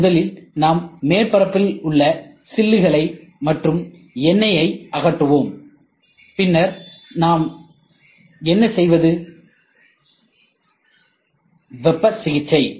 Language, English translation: Tamil, First is we remove chips, and oil whatever it is on the surface, then what we do is we do heat treatment